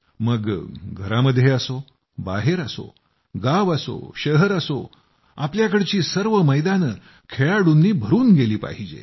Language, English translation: Marathi, At home or elsewhere, in villages or cities, our playgrounds must be filled up